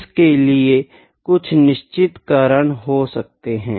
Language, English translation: Hindi, There might be certain reasons like this